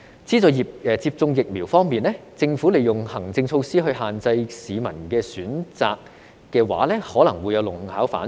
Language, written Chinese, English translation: Cantonese, 資助接種疫苗方面，如果政府利用行政措施限制市民的選擇的話，可能會弄巧反拙。, In subsidizing vaccination if the Government tries to restrict the peoples choices by administrative means it may defeat its own purpose